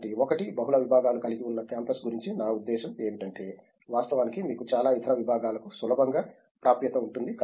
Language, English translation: Telugu, So, one of the, I mean aspects about a campus which is multidisciplinary is that in fact, you do have access to lot of other disciplines easily